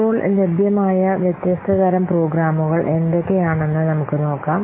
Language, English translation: Malayalam, Now let's see what are the different types of programs available